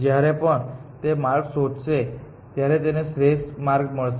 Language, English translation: Gujarati, That when it finds the path it will always finds an optimal path